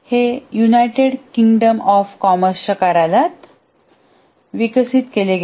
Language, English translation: Marathi, This was developed by the United Kingdom Office of Government of Commerce